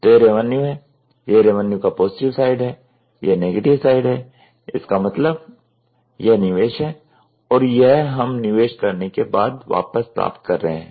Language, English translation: Hindi, So, this is revenue, this is positive side of the revenue, this is negative side; that means, to say investment and this is we are getting back on the return from investment